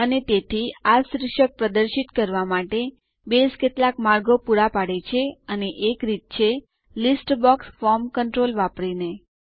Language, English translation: Gujarati, And so, to display these titles, Base provides some ways, and one of the ways is by using a List box form control